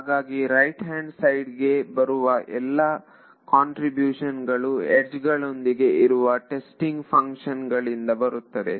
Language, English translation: Kannada, So, the contribution to the right hand side will only come from those testing functions which are associated with that edge